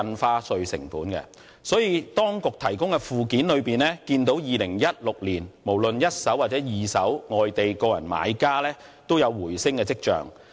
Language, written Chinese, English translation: Cantonese, 因此，從當局提供的附件可見，在2016年，無論是一手或二手住宅物業交易，外地個人買家的比例均有回升跡象。, Therefore from the annex provided by the Administration we can see that the respective proportions of non - local individual buyers in primary and secondary residential property transactions in 2016 have showed signs of bouncing back